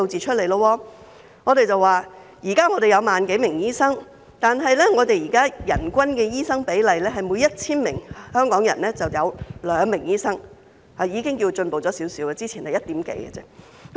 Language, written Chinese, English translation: Cantonese, 目前，香港有 10,000 多名醫生，但人均的醫生比例是每 1,000 名香港人有2名醫生，這已是略有進步，之前只有一點幾名。, At present there are more than 10 000 doctors in Hong Kong but the number of doctors is only 2 per 1 000 population . Indeed it has shown a slight improvement from the past level of below 2